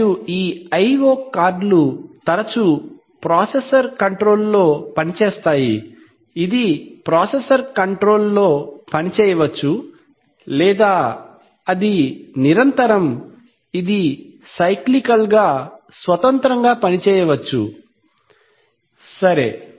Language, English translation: Telugu, So, and this I/O cards often work under the control of the processor, it may work at the control of the processor or it may continuously or it may work independently cyclically itself, right